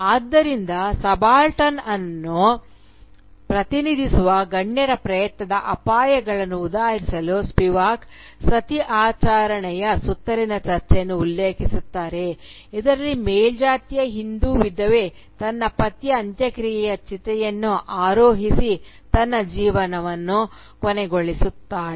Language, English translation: Kannada, So, to exemplify the dangers of the attempt of the elite to represent the subaltern, Spivak refers to the debate surrounding the ritual Sati in which an upper caste Hindu widow mounts the funeral pyre of her husband and ends her own life